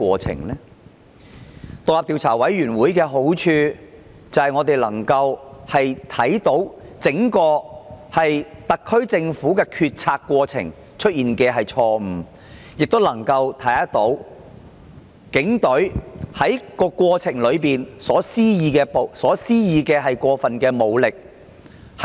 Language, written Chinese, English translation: Cantonese, 成立獨立調查委員會的好處，是讓我們能夠得知整個特區政府在決策過程中有否出現錯誤，亦能夠得知警方在事件中有否施用過分武力。, The merits of forming an independent investigation committee is that we would know if the entire SAR Government had made any mistake in the decision - making process and if the Police had used excessive force in handling the incident